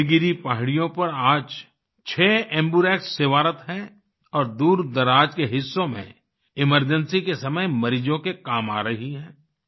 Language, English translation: Hindi, Today six AmbuRx are serving in the Nilgiri hills and are coming to the aid of patients in remote parts during the time of emergency